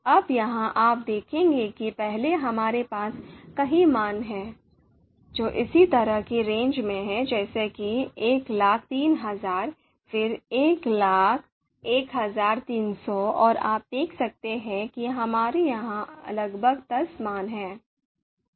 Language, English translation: Hindi, Now here, you you will see that first we have a number of values which are in similar kind of range like 103000, then 101300 and you can see number of almost you know ten values are there